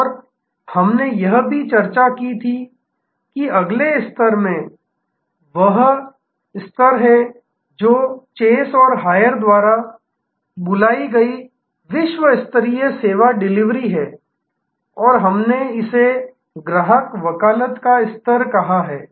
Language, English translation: Hindi, And we had also discussed that in the next level, this is the level, which is world class service delivery called by chase and hayes and we have called it customer advocacy level